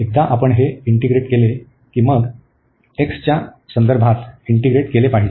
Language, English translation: Marathi, So, once we integrate this one, then we have to integrate then with respect to x